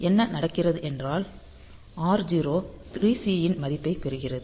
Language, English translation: Tamil, So, what will happen is that since r0 is having this value 3 C